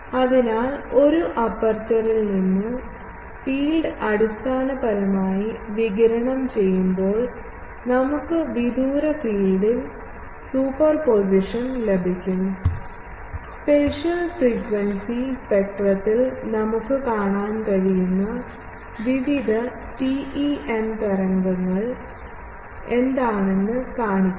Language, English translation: Malayalam, So, from an aperture when the field is radiated basically, we will get in the far field the superposition of various TEM waves that we can see in the spectrum, the spatial frequency spectrum shows that what TEM waves are there ok